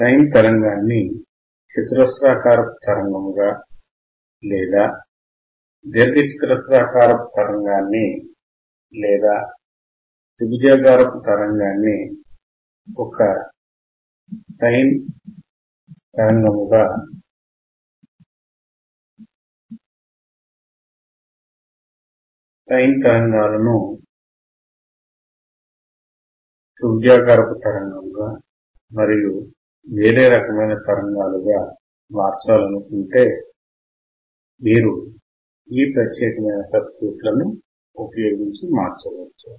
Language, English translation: Telugu, And you will see that if you want to convert your sine wave to a square wave or rectangle wave or triangle wave to a sine wave, sine wave to triangle wave and lot of other changes of the signal ,you can change the signal by using these particular circuits